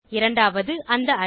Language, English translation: Tamil, 2nd is the Array